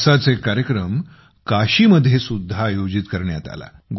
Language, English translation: Marathi, One such programme took place in Kashi